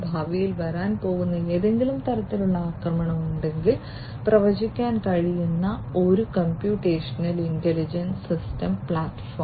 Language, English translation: Malayalam, A computational intelligent system platform, which can predict if there is some kind of attack that is going to come in the future